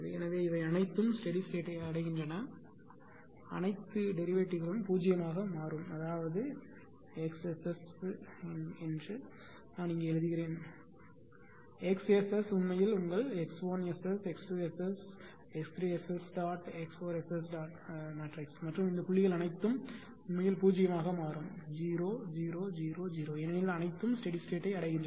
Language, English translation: Tamil, So, all these things are easy steady state that we all the derivative will become 0; that means, X S S dot will be is equal to basically just hold on ; suppose ah suppose here I am writing ah suppose it is X S S dot actually is equal to your X 1 S S dot, X 2 S S dot, X 3 S S dot and X 4 your S S dot and all these dot actually becoming 0 0 0 0 0 because all are reaching to the steady state